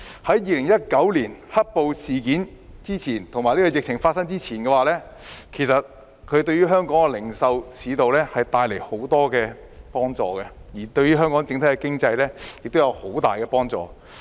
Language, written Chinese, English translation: Cantonese, 在2019年"黑暴"事件及疫情發生前，"一地兩檢"的安排對香港的零售市道帶來很多幫助，對香港的整體經濟亦有很大幫助。, Before the black - clad riot incident in 2019 and the outbreak of the epidemic the co - location arrangement contributed much to a robust local retail market and our economy as a whole